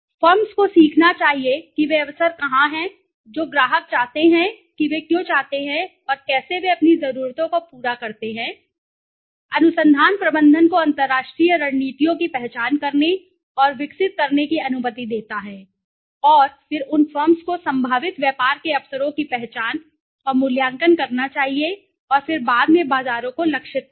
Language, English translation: Hindi, Firms must learn where the opportunities are what customers want why they want and how they satisfy their needs and wants okay the research allows management to identify and develop international strategies and then those the firms must identify and evaluate and compare the potential business is opportunities and then subsequently target the markets okay